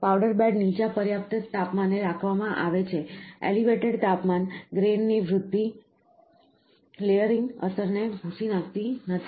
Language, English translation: Gujarati, The powder bed is held at low enough temperature, that elevated temperature grain growth does not erase the layering effect